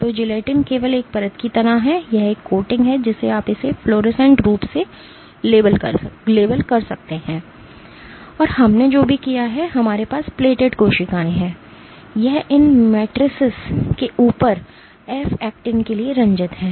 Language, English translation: Hindi, So, the gelatin is only like a layer it is a coating you can it has been fluorescently labeled and what we have done is we have plated cells, this is stained for f actin on top of these matrices